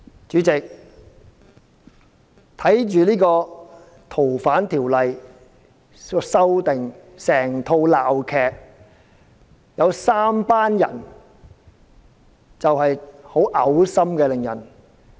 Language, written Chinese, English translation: Cantonese, 主席，看着修訂《條例》這齣鬧劇，有三夥人令人感到很噁心。, President watching this farce about the amendment of the Ordinance I find three groups of people particularly repulsive